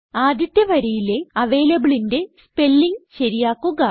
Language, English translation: Malayalam, Correct the spelling of avalable in the first line